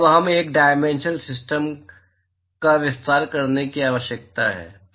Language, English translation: Hindi, Now, we need to extend to a 3 dimensional system